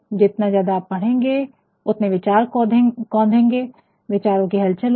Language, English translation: Hindi, The more you read, the more your thoughts will be ignited will be stirred